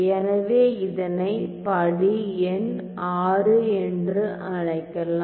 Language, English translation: Tamil, So, let me call this as my step number VI